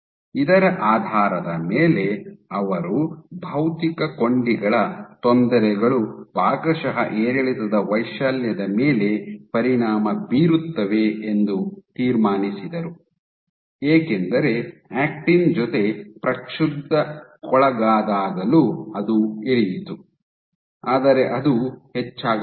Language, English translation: Kannada, So, based on this they concluded that perturbations of the physical links partially affect the amplitude of fluctuations, because even when the perturbed with actin it dropped, but it did not go or it increase, but didn’t go